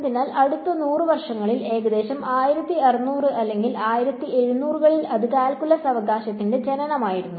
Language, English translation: Malayalam, So, that in the next 100 years about 1600 or 1700s it was the birth of calculus right